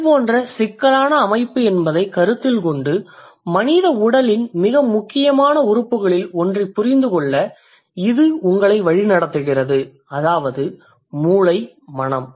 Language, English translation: Tamil, Considering it's such a complex system, it leads you to understand one of the most important organ of human body that is the brain slash mind